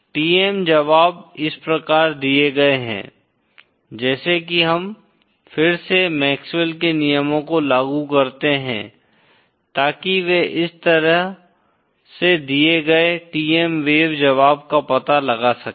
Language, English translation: Hindi, The TM solutions are given as so if we again apply the MaxwellÕs laws to find the TM wave solution they are given like this